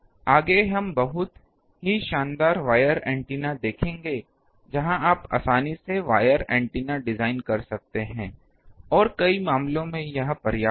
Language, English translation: Hindi, Next we will see some of the very noble wire antennas where you can easily design wire antennas and for many cases it suffices